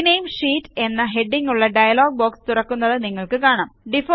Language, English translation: Malayalam, You see that a dialog box opens up with the heading Rename Sheet